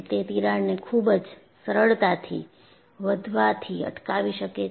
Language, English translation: Gujarati, It prevents the crack to grow easier